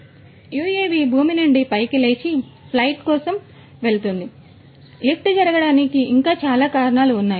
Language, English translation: Telugu, So, UAV lifts up from the ground and goes for a flight, this is one of the reasons like this there are many other reasons why the lift happens